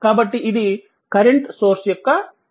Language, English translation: Telugu, So, this is your representation of current source